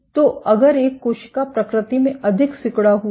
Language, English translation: Hindi, So, if a cell is more contractile in nature then